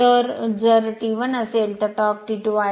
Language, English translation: Marathi, So, first case if it is T 1 second case torque is T 2